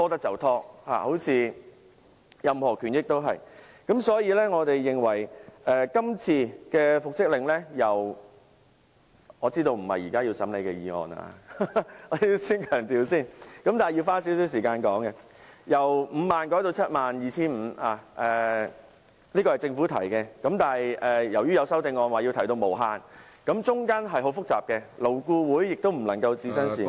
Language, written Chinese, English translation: Cantonese, 因此，就復職令而言——我要先強調，我知道復職令不是現在審議的法案，但我要花少許時間說說——政府提出由5萬元改為 72,500 元，但有修正案建議改為無上限，當中牽涉的問題很複雜，勞顧會也不能置身事外......, Hence insofar as the order for reinstatement is concerned―I must stress that I understand that it is not the subject under scrutiny now but I must say a few words about it―while the Government proposed to increase the payment from 50,000 to 72,500 an amendment proposed that there should be no ceiling at all which involved complicated issues and LAB could not stand aloof